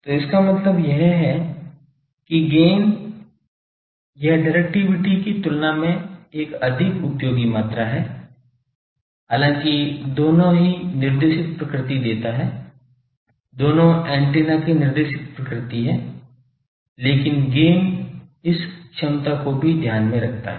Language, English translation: Hindi, So that means, gain it is a more useful quantity compared to directivity though both gives the directed nature both characters is the antennas directed nature, but the gain that also takes into account this efficiencies